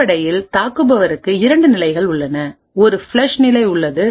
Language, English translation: Tamil, Essentially the attacker has 2 phases; there is a flush phase and then there is a reload phase